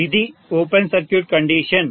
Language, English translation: Telugu, This is open circuit condition